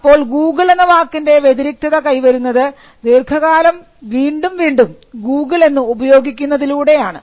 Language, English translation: Malayalam, So, the distinctiveness of the word Google came by repeated usage over a period of time